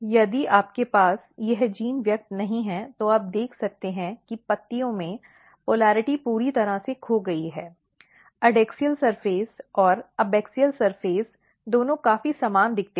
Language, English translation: Hindi, So, if you do not have this gene expressed you can see that these polarity in the leaves are totally lost so adaxial surface and abaxial surface both looks quite similar